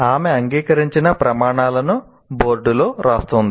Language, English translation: Telugu, And she writes the agreed criteria on the board